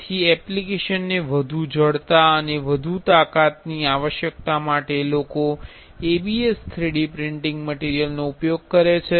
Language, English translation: Gujarati, So, for the application to require more stiffness and more strength people use ABS 3D printing material